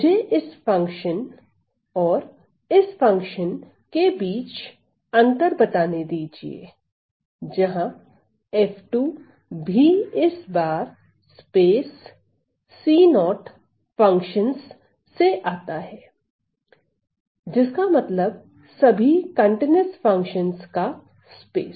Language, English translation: Hindi, So, let me just you know distinguish between this function and this function, where f 2 is also coming from the space this time of c 0 functions, which means the space of all continuous functions